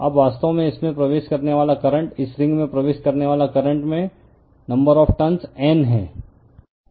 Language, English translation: Hindi, Now, current actually entering it, this current is entering this ring has N number of turns right